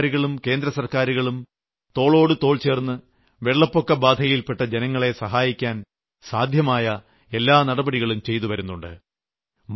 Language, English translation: Malayalam, Central government and State Governments are working hand in hand with their utmost efforts to provide relief and assistance to the floodaffected